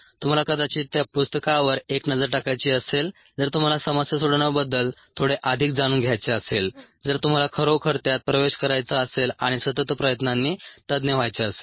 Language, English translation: Marathi, you might want to take a look at that book if you want to know a little more about problem solving, if you really want to get into it and become an expert with sustained effort